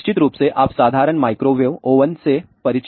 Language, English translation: Hindi, So, of course, what you are familiar with the simple microwave oven